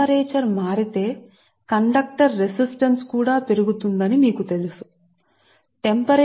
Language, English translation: Telugu, if you know that if temperature varies then conductor resistance also will increase